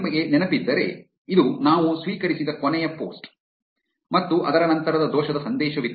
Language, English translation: Kannada, If you remember, this was the last post that we received and after that there was an error message